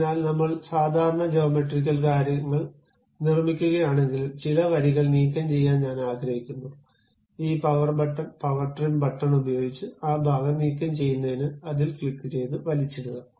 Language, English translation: Malayalam, So, even though I am constructing typical geometrical things, I would like to remove some of the lines, I can use this power button power trim button to really click drag over that to remove that part of it